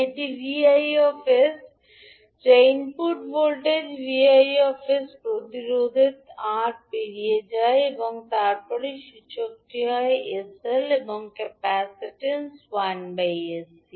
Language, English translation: Bengali, So this is Vis that is input voltage, V naught s is across the resistance R and then the Inductor will become sl and the capacitance will be 1 by sC